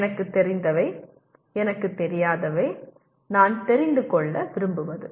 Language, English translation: Tamil, What I know, what I do not know, what I want to know